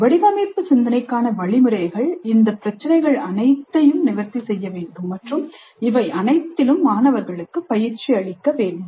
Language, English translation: Tamil, So instruction for design thinking must address all these issues and train the students in all of these issues